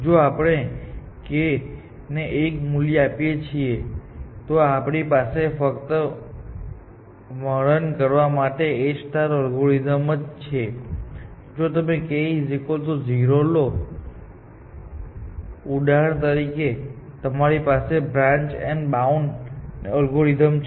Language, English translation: Gujarati, If you put k equal to 1, then we have the A star algorithm to just describe, if you put k equal to 0, for example, then you have, simply, branch and bound